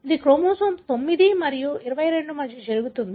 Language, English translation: Telugu, It happens between chromosome 9 and 22